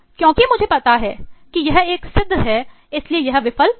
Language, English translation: Hindi, Because I know this is a proven one so this will not fail